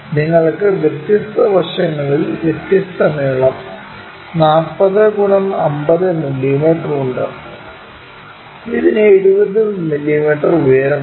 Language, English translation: Malayalam, There is a reason you have different sides different lengths 40 and 50 mm and it has a height of 70 mm